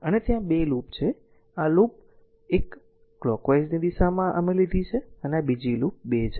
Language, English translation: Gujarati, And there are 2 loop, this is loop 1 clockwise direction we have taken and this is another loop 2, right